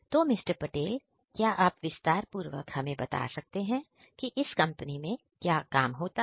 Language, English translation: Hindi, Patel could you please explain what exactly you do in this company